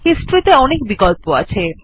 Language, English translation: Bengali, Under History, there are many options